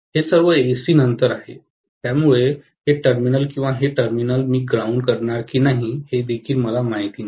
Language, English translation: Marathi, It is after all AC, so I do not even know whether I am going to ground this terminal or this terminal, I do not know